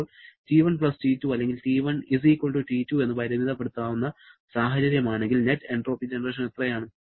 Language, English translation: Malayalam, Now, if the limiting case of T1+T2 or rather T1=T2, how much is the net entropy generation